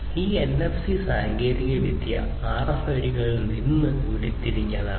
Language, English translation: Malayalam, So, this is basically this NFC technology has been derived from the RFIDs